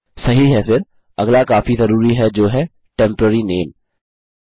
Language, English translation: Hindi, Right then, the next one which is quite an important one is the temporary name